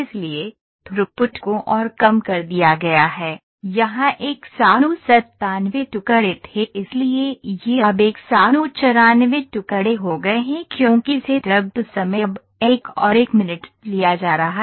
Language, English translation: Hindi, So, the throughput is further reduced here it was 197 pieces so it is 194 pieces now, ok, because the setup time is there now another 1 minute is being taken